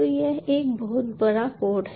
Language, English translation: Hindi, so its a pretty big code